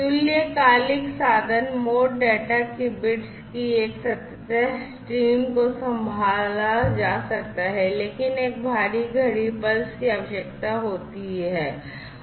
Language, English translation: Hindi, Synchronous meaning that in this particular mode a continuous stream of bits of data can be handled, but requires an external clock pulse